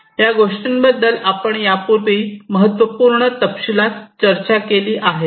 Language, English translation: Marathi, And this is something that we have already discussed in significant detailed in the past